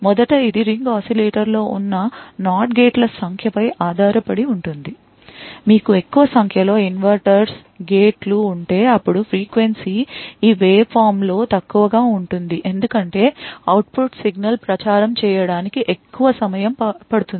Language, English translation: Telugu, First it depends on the number of NOT gates that are present in this ring oscillator for example, if you have more number of inverters gates then the frequency would be of this waveform would be lower because essentially the signal takes a longer time to propagate to the output